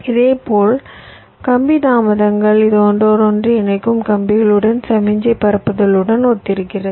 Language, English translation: Tamil, similarly, wire delays, which correspond to the signal propagation along the interconnecting wires